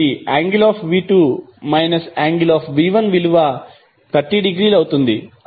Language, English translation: Telugu, So, V2 angle of V2 minus angle of V1 will be 30 degree